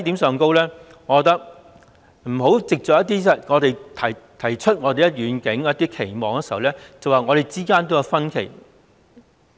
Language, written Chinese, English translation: Cantonese, 政府不應基於我們提出遠景和期望，便指我們之間也有分歧。, The Government should not say that there are disagreements among us simply because of the visions and expectations put forward by us